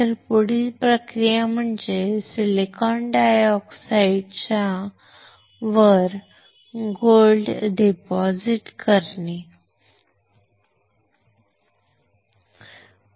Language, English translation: Marathi, So, next process would be to deposit gold on top of this silicon dioxide, right